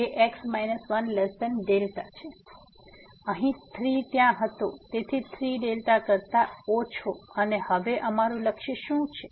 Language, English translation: Gujarati, So, here 3 was there; so, less than 3 delta and what is our aim now